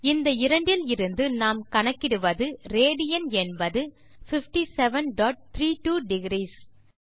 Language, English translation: Tamil, So we notice from these two that the value of 1 rad will be 57.32 degrees